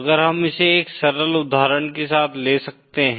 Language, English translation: Hindi, If we can take it with a simple example